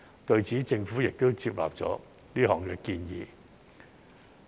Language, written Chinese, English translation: Cantonese, 對此，政府亦接納了是項建議。, In this connection the Government also accepted the proposal